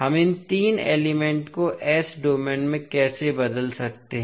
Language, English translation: Hindi, So, how we can transform the three elements into the s domain